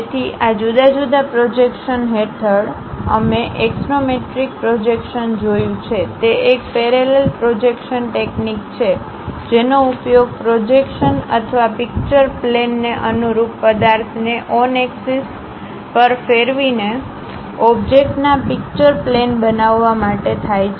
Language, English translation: Gujarati, So, under these different projections, we have seen axonometric projection; it is a parallel projection technique used to create pictorial drawing of an object by rotating the object on axis, relative to the projection or picture plane